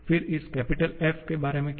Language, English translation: Hindi, Then, what about this capital F